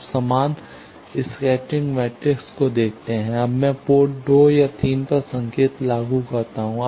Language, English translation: Hindi, You see the same scattering matrix now I apply signal at port 2 and 3